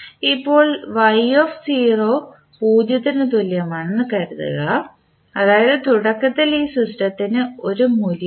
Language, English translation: Malayalam, Now, if you consider y0 equal to 0 that is initially this system does not have any value